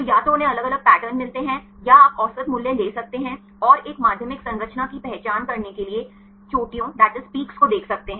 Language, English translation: Hindi, So, either they get different patterns or you can take the average value and see the peaks to identify a secondary structure